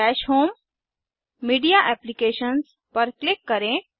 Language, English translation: Hindi, Click on Dash home, Media Apps